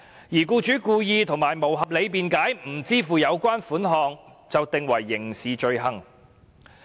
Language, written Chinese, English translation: Cantonese, 如僱主故意及無合理辯解而不支付有關款項，即屬犯罪。, An employer who fails to pay this sum wilfully and without reasonable excuse will commit an offence